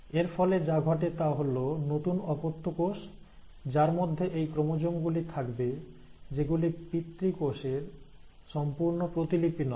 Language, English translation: Bengali, Now what happens is, because of this, what will happen is the new daughter cells, which will have these chromosomes will not be an exact copy of the parent cells